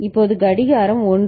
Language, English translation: Tamil, Now the clock is at 1 right